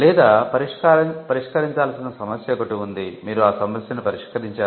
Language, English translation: Telugu, There is a problem to be solved, and you solve the problem